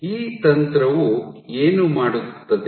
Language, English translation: Kannada, So, what this technique does